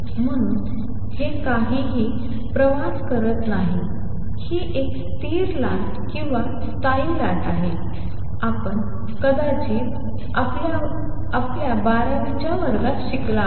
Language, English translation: Marathi, So, nothing travels this is a stationary wave or standing wave as you may have learnt in your twelfth grade